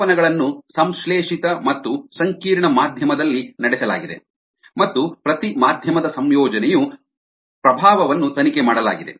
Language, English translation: Kannada, the measurement were performed in synthetic and complex media and the influence of the composition on ah of each medium was investigated